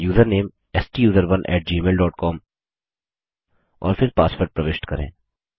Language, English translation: Hindi, Now enter the user name STUSERONE at gmail dot com and then the password